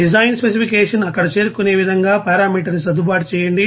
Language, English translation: Telugu, And adjust the parameter such that design specification will be met there